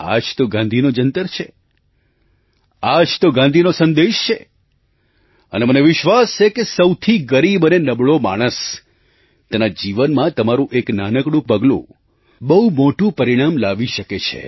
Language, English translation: Gujarati, This is the mantra of Gandhiji, this is the message of Gandhiji and I firmly believe that a small step of yours can surely bring about a very big benefit in the life of the poorest and the most underprivileged person